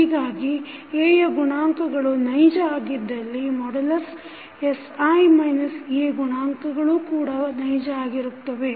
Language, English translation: Kannada, So, coefficient of A are real then the coefficient of sI minus A determinant will also be real